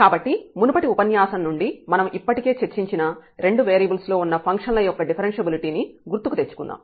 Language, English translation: Telugu, So, just to recall from the previous lecture we have discussed already the differentiability of functions of two variables